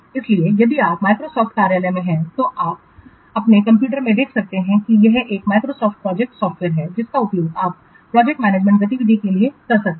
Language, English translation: Hindi, So, if you are having Microsoft Office then you can see in your computer that this Microsoft project software is there which you can use for project management related activities